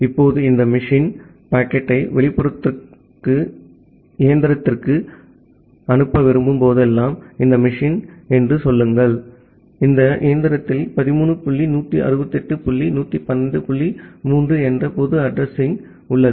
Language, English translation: Tamil, Now, whenever this machine want to send the packet to the outside machine say this machine and this machine has a public address of to 13 dot 168 dot 112 dot 3